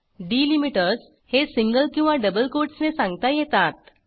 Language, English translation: Marathi, Delimiters can be specified in single or double quotes